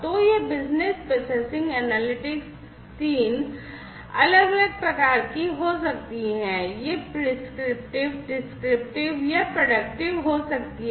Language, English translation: Hindi, So, this business processing analytics could be of 3 different types, it could be prescriptive, descriptive or predictive